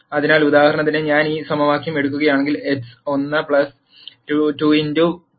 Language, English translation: Malayalam, So, for example, if I take this equation x 1 plus 2 x 2 equals 5